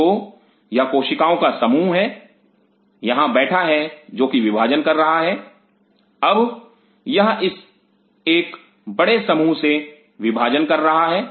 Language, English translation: Hindi, So, this is a mass of cell sitting out here which is dividing now it divide form a bigger mass this